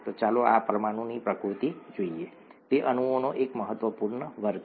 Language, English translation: Gujarati, Let us look at the nature of this molecule, it is an important class of molecules